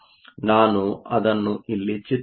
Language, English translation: Kannada, Let me just draw it here